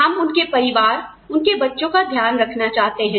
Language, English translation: Hindi, We want to take care of their families, their children